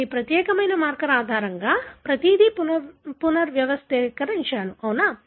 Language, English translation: Telugu, I have rearranged everything based on this particular marker, right